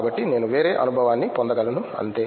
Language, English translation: Telugu, So, that I can get a different experience, that’s all